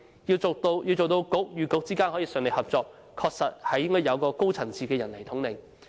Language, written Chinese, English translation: Cantonese, 要令局與局之間順利合作，確實需要有高層次的人來統領。, To enable the smooth cooperation among these Bureaux it needs someone of a higher echelon to take the lead